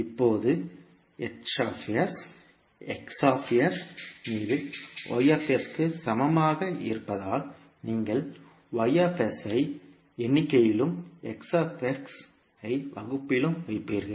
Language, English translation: Tamil, Now, since H s is equal to Y s upon X s, you will put Y s in numerator and the X s in denominator